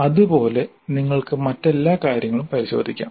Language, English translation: Malayalam, Similarly you can look into all the other things